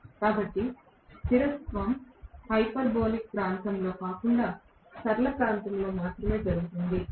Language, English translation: Telugu, So, the stability happens only in the linear region, not in the hyperbolic region